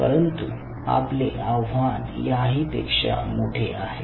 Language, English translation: Marathi, but our problem was even much more challenging